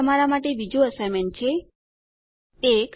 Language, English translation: Gujarati, Here is another assignment for you: 1